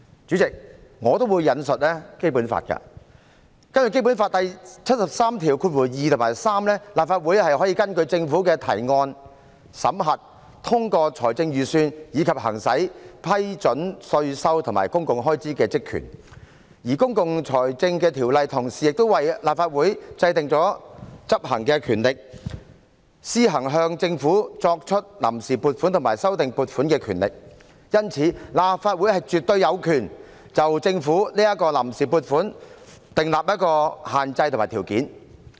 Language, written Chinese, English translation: Cantonese, 主席，我也會引述《基本法》，根據《基本法》第七十三條第二及三項，立法會可根據政府的提案，審核、通過財政預算，以及行使批准稅收和公共開支的職權，而《公共財政條例》同時為立法會制訂了執行權力，立法會可施行向政府批出臨時撥款和修訂撥款的權力，因此，立法會絕對有權就政府的臨時撥款訂立限制和條件。, President I am also going to cite the Basic Law . According to Articles 732 and 733 of the Basic Law the Legislative Council may examine and approve budgets introduced by the Government and exercise its powers and functions to approve taxation and public expenditure . Moreover the Public Finance Ordinance empowers the Legislative Council to carry out its functions